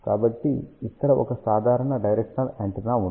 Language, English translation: Telugu, So, here is a typical directional antenna